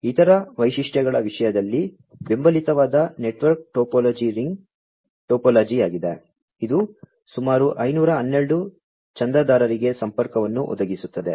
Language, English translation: Kannada, So, in terms of other features network topology that is supported is the ring topology, which will provide connectivity to about 512 subscribers